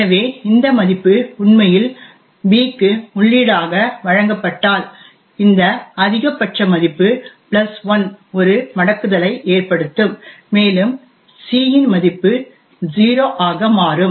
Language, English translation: Tamil, So if this value is actually given as input to b then this maximum value plus 1 will cause a wrapping to occur and the value of c would become 0